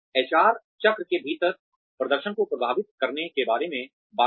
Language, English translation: Hindi, That talked about, influencing performance within the HR cycle